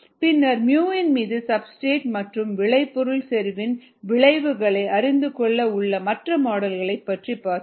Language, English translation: Tamil, then we said that there are other models for the effect of substrate product concentration on mu